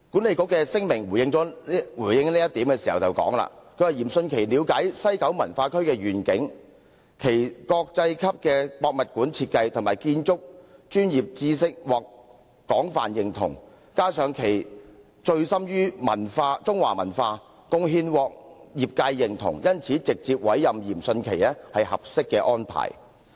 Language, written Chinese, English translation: Cantonese, 西九文化區管理局發表聲明表示，嚴迅奇了解西九文化區的願景，其國際級的博物館設計及建築專業知識獲廣泛認同，加上他醉心中華文化，貢獻獲業界認同，因此直接委任是合適的安排。, WKCDA issued a press statement saying that Rocco YIM has a good understanding of the vision of WKCD; his expertise in designing world - class museums has gained wide acclaim; he has great interest in Chinese culture and his contributions have won acknowledgment from his peers . Hence direct appointment is an appropriate arrangement